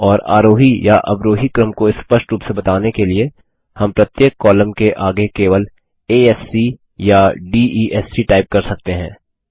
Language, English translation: Hindi, And to specify the ascending or descending order, we can simply type A S C or D E S C next to each column name